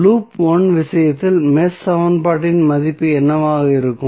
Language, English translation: Tamil, So, what would be the value of the mesh equation in case of loop 1